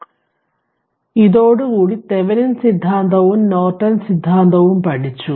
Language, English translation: Malayalam, So, with this we have learned Thevenin theorem and Norton theorems